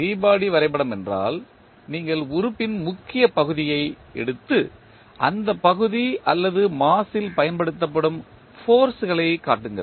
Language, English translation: Tamil, Free body diagram means you just take the main body of the element and show the forces applied on that particular body or mass